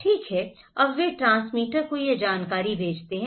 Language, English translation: Hindi, Okay, now they send this information to the transmitter